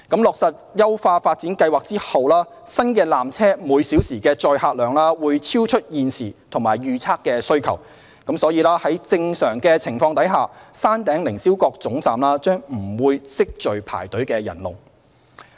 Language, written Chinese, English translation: Cantonese, 落實優化發展計劃後，新纜車每小時的載客量會超出現時及預測的需求，因此在正常情況下，山頂凌霄閣總站將不會積聚排隊人龍。, After the completion of the upgrading plan the new peak trams hourly capacity will exceed the current and forecast demands and hence queues will not normally build up at the Upper Terminus